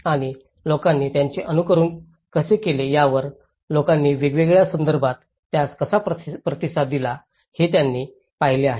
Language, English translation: Marathi, And they have looked at how people have adapted to it, how people have responded to it in different context